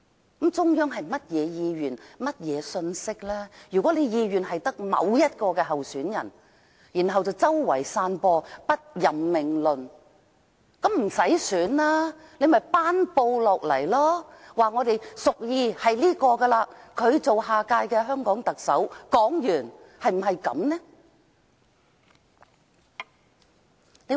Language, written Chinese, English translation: Cantonese, 如果中央的意願只是選出某位候選人，但卻四處散播不任命論，倒不如不要選舉，索性頒布："我們屬意這一位擔任下一屆香港特首"？, If the intention of the Central Authorities is to get certain candidate elected but they have spread the message that appointment will not be made an election might as well not be held and announcement be made instead We prefer a certain person to be the next Chief Executive of Hong Kong